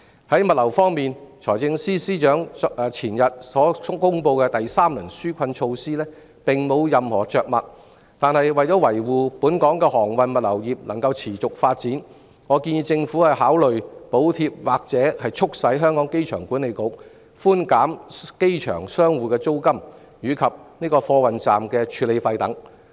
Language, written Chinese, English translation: Cantonese, 至於物流業方面，財政司司長在前天公布的第三輪紓困措施中並無任何着墨，但為了讓本港的航運物流業得以持續發展，我建議政府考慮補貼或促使香港機場管理局寬減機場商戶的租金及貨運站的處理費等。, As for the logistics industry the Financial Secretary has made no mention of it in his third round of relief measures announced two days ago . Yet for the purpose of sustaining the development of the transport and logistics industries in Hong Kong I suggest that the Government should consider securing the agreement of the Airport Authority Hong Kong by means of a subsidy perhaps to reduce the rental of merchant outlets in the airport and the handling fees of cargo terminals